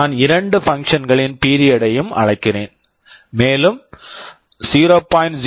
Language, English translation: Tamil, I am calling the two functions period and write, 0